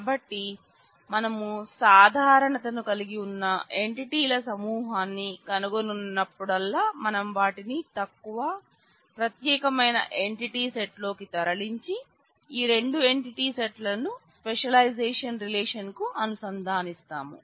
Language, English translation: Telugu, So, that whenever we find a group of entities which have certain commonality; we move them into a lower separate, specialized entity set and relate these two entity sets to the specialization relation